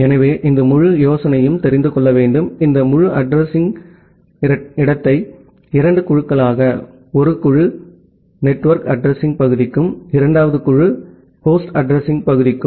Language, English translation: Tamil, So, the whole idea is to break, this entire address space into two groups, one group is for the network address part, and the second group is for the host address part